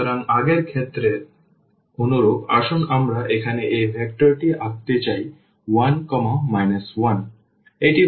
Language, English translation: Bengali, So, similar to the previous case let us draw this vector here 1 minus 1